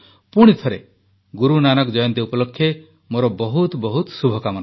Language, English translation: Odia, Once again, many best wishes on Guru Nanak Jayanti